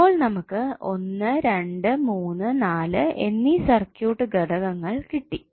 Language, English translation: Malayalam, So we got 1, 2, 3 and 4 elements of the circuit